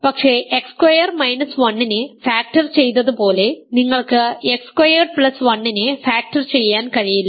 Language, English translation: Malayalam, So, the product of a and b is in this, but X minus 1 cannot be in X squared minus 1, X plus 1 cannot be in X squared plus 1 X squared minus 1